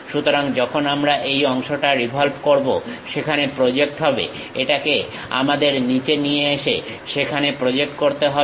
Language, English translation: Bengali, So, when we are having revolve, this part projects there; this one we have to really bring it down project there